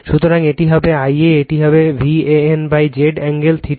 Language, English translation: Bengali, So, it will be I a will be V a n upon Z angle minus theta